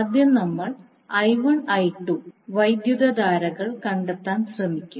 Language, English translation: Malayalam, So, how to solve, we will first try to find out the currents I1 and I2